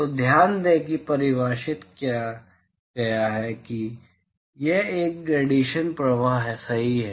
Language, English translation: Hindi, So, note that G is defined is it is an incident irradiation flux right